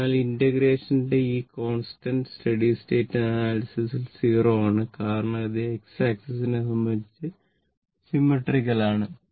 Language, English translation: Malayalam, So, this constant of integration is 0 in the steady state solution as it is symmetrical about X axis